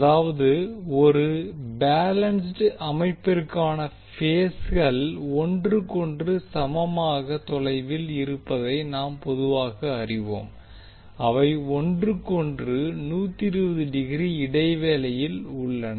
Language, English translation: Tamil, That means for a balanced system we generally know that the phases are equally upon equally distant with respect to each other that is 120 degree apart from each other